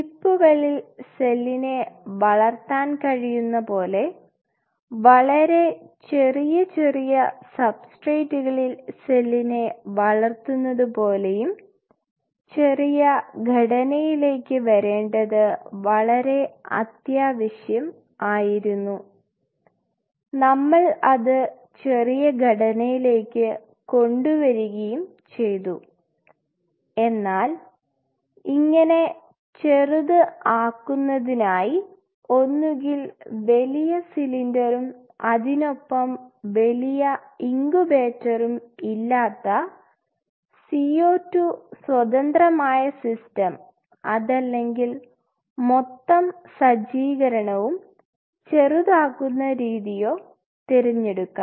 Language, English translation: Malayalam, This is very essential that we miniaturized the stuff growing cells on a chip, growing cells on very small substrate, we miniaturized it and if we have to miniaturize it we may prefer to have either CO 2 independent systems to grow, where you do not have to have a bulky cylinder along with it and a huge incubator or we miniaturize the whole setup